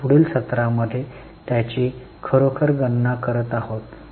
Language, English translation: Marathi, We'll be actually calculating it in the next session